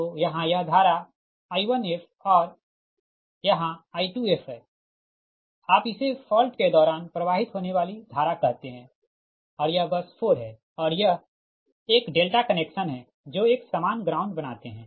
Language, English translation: Hindi, so here it is current is i one f and here it is i two f, say, for during fault current flowing, here is i one f and i two f and this is bus four and this is a delta connection